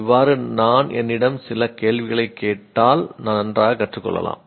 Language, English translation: Tamil, If I ask a few questions to myself, then possibly I can learn better